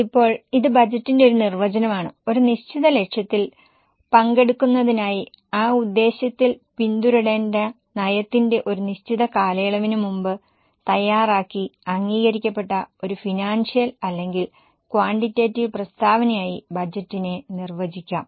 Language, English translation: Malayalam, Now this is a definition of budget that it can be defined as a financial or quantitative statement prepared and approved prior to a defined period of time or policy to be pursued during that purpose for attaining a given objective